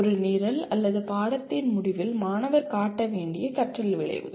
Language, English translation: Tamil, The learning outcomes the student should display at the end of a program or a course